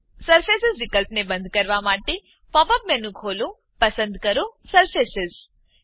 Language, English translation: Gujarati, To turn off the surface option, open the Pop up menu, choose Surfaces